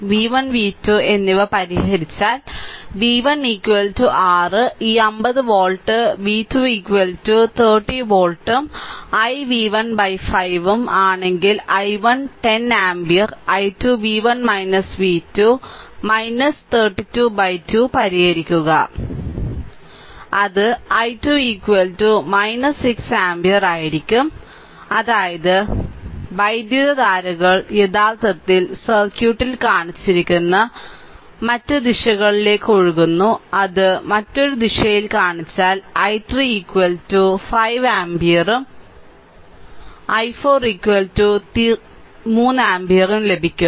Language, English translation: Malayalam, So, we solve i 1 10 ampere, i 2 v 1 minus v 2 minus 32 by 2 so, it is i 2 is equal to minus 6 ampere; that means, current is actually flowing in other direction whatever direction shown in the circuit, it is shown in the other direction then i 3 is equal to 5 ampere and i 4 is equal to 3 ampere right